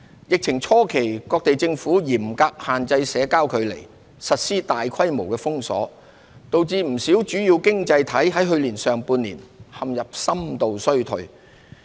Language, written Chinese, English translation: Cantonese, 疫情初期各地政府嚴格限制社交距離，實施大規模封鎖，導致不少主要經濟體去年上半年陷入深度衰退。, At the onset of the outbreak governments around the world implemented stringent social distancing requirements and widespread lockdowns plunging many major economies into a deep recession in the first half of last year